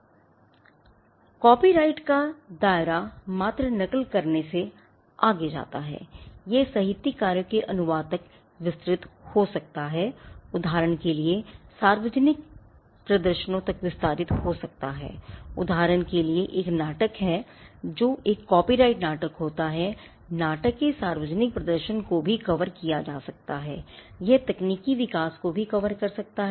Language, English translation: Hindi, Scope of the right copyright extends beyond mere copy it can extend to translation of literary works, it can extend to public performances for instance there is a play a copyrighted play the public performance of the play could also be covered, it could also cover technological developments